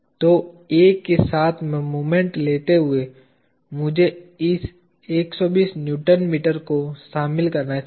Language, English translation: Hindi, So, in taking moment about A I should involve this 120 Newton meter